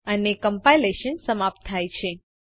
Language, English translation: Gujarati, And the compilation is terminated